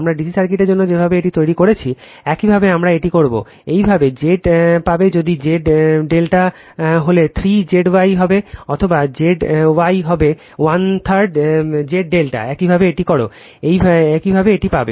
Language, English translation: Bengali, The way we have made it for DC circuit, same way we do it; you will get Z if Z delta is will be 3 Z Y right or Z Y will be 1 by 3 Z delta same way you do it, you will get it right